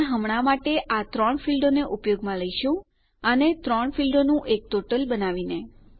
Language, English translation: Gujarati, But for now were using these 3 fields making it a total of 3 fields